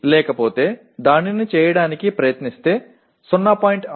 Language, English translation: Telugu, Otherwise trying to make it let us say 0